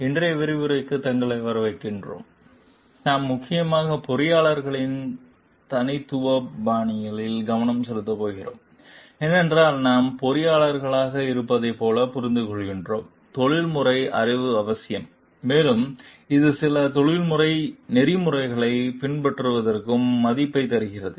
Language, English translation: Tamil, In today s session, we are going mainly to focus on the Leadership Styles of the Engineers, because we understand as like if we are engineers, a professional knowledge is a must and it gives us a values also to follow some professional ethics